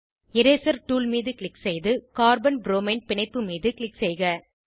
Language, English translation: Tamil, Click on Eraser tool and click on Carbon bromine bond